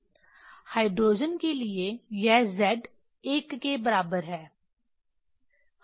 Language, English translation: Hindi, For hydrogen it is a Z equal to 1